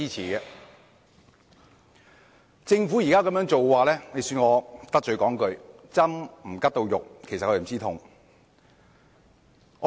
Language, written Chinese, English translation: Cantonese, 對於政府現時的做法，恕我得罪說一句，"針拮不到肉就不知痛"。, Concerning the current approach adopted by the Government with due respect I must say that one cannot feel the pain because the needles are not piercing through his skin